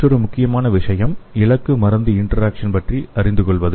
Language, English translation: Tamil, Another important thing is studying the target drug interaction